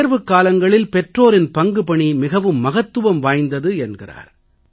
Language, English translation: Tamil, He says that during exams, parents have a vital role to play